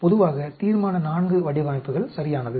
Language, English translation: Tamil, Generally Resolution IV designs are ok